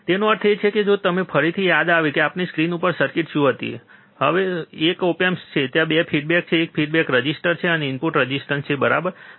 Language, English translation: Gujarati, That means that if you if you again remember what was the circuit on our screen, it was that there is a op amp, there is 2 feedback, there is one feedback resistor, and one input resistor ok